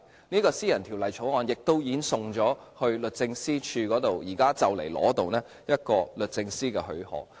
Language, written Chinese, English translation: Cantonese, 這項私人條例草案亦已送交律政司，即將得到律政司的許可。, This private bill has also been submitted to the Department of Justice and will soon receive its approval